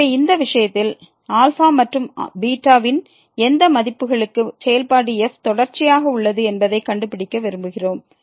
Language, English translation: Tamil, So, in this case we want to find for what values of alpha and beta the functions is continuous